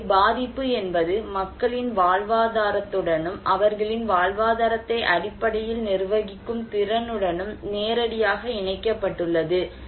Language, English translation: Tamil, So, vulnerability is directly connected with people's livelihood and their capacity to manage their livelihood basically